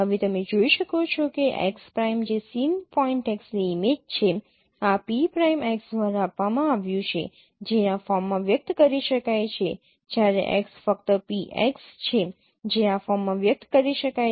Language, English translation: Gujarati, As you can see that x prime which is the image of the same point x is given by this p prime x which is can be expressed in this form whereas x is just p x which can be expressed in this form